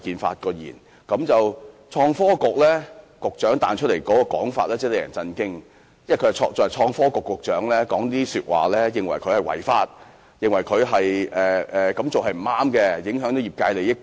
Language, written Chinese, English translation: Cantonese, 不過，創新及科技局局長的回應卻令人震驚，他身為創新及科技局局長竟認為 Uber 違法，認為他們這樣做是不對的，會影響業界利益。, However the response of the Secretary for Innovation and Technology was dismaying . As the Secretary for Innovation and Technology he considered Ubers operation unlawful and Ubers practice was wrong for it affected the interest of the industry